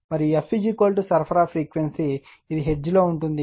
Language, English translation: Telugu, And f is equal to supply frequency is hertz, this f in hertz right